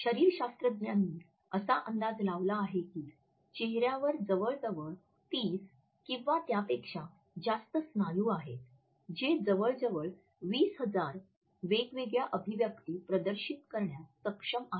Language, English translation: Marathi, Physiologists have estimated that there are 30 or so muscles in the face which are capable of displaying almost as many as 20,000 different expressions